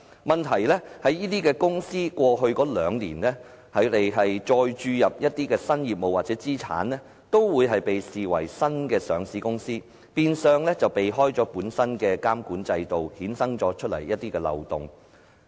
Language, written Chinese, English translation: Cantonese, 問題在於這些公司過去兩年再注入一些新業務或資產，都會被視為新的上市公司，變相避開了本身的監管制度，衍生了一些漏洞。, The problem is that if these companies introduce new businesses or inject new assets they will be deemed new listed companies . This will virtually allow them to avoid the exiting regulatory regime and therefore new loopholes have derived from that